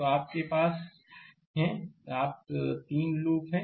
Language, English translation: Hindi, So, you have 3 you are 3 loops